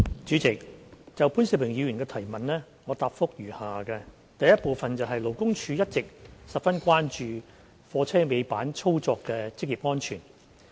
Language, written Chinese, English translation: Cantonese, 主席，就潘兆平議員的質詢，我答覆如下：一勞工處一直十分關注貨車尾板操作的職業安全。, President my reply to the questions raised by Mr POON Siu - ping is as follows 1 Labour Department LD has all along been very concerned about the occupational safety of tail lift operation